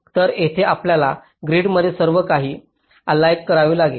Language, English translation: Marathi, so there you have to align everything to a grid